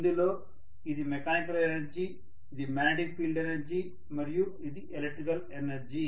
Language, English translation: Telugu, Where this is the mechanical energy, this is the magnetic field energy and this is the electrical energy